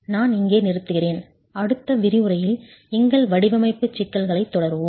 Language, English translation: Tamil, I'll stop here and we will continue our design problems in the next lecture